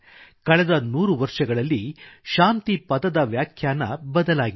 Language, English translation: Kannada, The definition of peace has changed in the last hundred years